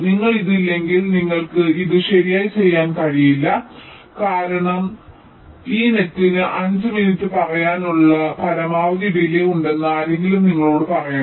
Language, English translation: Malayalam, so unless you have this, you cannot do this right because, ah, someone has to tell you that this net has to have a maximum delay of, say, five minutes